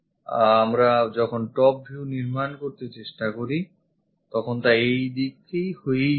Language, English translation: Bengali, So, the top view when we are trying to make it it goes via this one